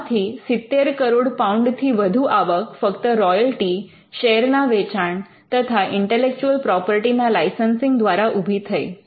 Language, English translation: Gujarati, Now, this has generated an income in excess of 700 million pounds from royalties, share sales and licensing intellectual property